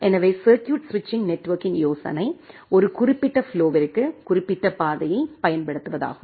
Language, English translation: Tamil, So, the idea of the circuit switching network was to use specific path for a specific flow